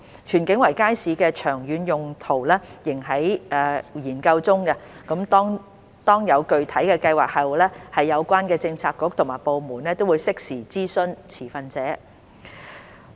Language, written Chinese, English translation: Cantonese, 荃景圍街市的長遠用途仍在研究中，當有具體計劃後，有關政策局及部門會適時諮詢持份者。, The long - term use of the Tsuen King Circuit Market is still under consideration . The relevant bureaux and departments will consult the stakeholders in due course once a concrete plan is in place